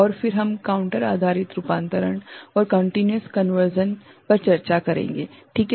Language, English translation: Hindi, And then we shall discuss counter based conversion and also continuous conversion ok